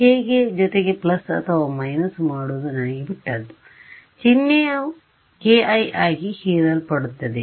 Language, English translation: Kannada, It is up to me how to write, plus or minus, the sign will get absorbed into k i ok